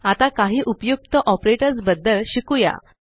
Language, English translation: Marathi, Now, lets learn about a few other useful operators